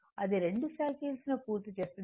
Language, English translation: Telugu, It will complete 2 cycles right